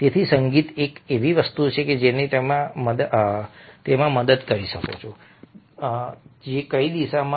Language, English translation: Gujarati, so music is something which might help you in that direction as well